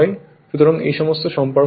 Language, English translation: Bengali, So, there you you use all this relationship